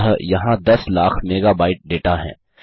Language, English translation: Hindi, So weve got a million megabyte of data here